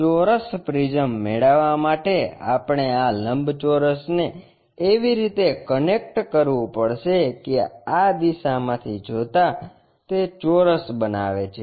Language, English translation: Gujarati, To get square prisms we have to connect these rectangles in such a way that from this view it makes square